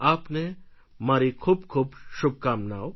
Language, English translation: Gujarati, I send my best wishes to you